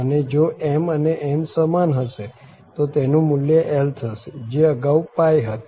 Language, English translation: Gujarati, And if have same m and n then the value will be l earlier it was pi